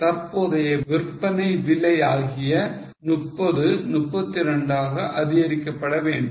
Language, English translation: Tamil, So, current sale price which is 30 will be increased to 32